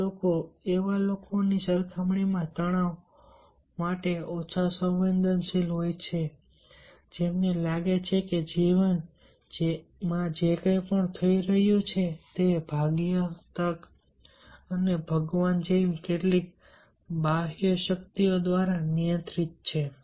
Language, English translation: Gujarati, these people are less acceptable to stress compared to the people, those who feel that whatever happening is life is controlled y some external forces like faith, chance and guard